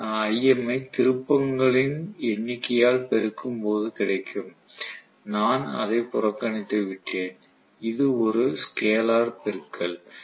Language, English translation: Tamil, 5 times Im multiplied by the number of turns ofcourse I have neglected that here, that is a scalar multiplication